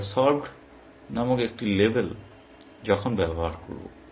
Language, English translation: Bengali, We will use a label called solved, while